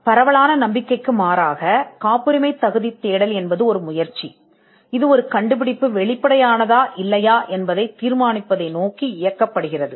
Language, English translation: Tamil, Contrary to popular belief, a patentability search is an effort, that is directed towards determining whether an invention is obvious or not